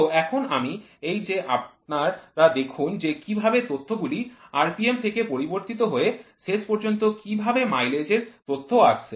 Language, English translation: Bengali, So, now, what I want to you guys to see is how is the data of rpm getting converted finally, into a mileage data